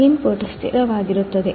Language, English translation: Kannada, The input is constant